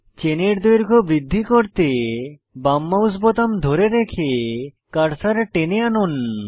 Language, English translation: Bengali, To increase the chain length, hold the left mouse button and drag the cursor